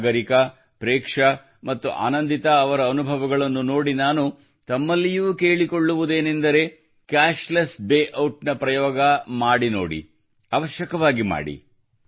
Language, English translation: Kannada, Looking at the experiences of Sagarika, Preksha and Anandita, I would also urge you to try the experiment of Cashless Day Out, definitely do it